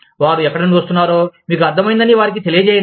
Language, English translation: Telugu, Let them know that, you understand, where they are coming from